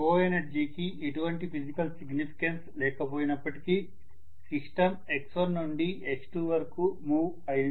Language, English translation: Telugu, Although co energy does not have any physical significance, then the system moved from x1 to x2